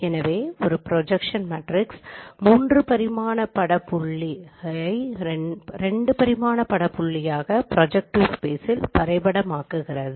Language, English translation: Tamil, So, there is a projection matrix which maps a three dimensional coordinate point to a two dimensional image point and in the projective space we can represent them as in this form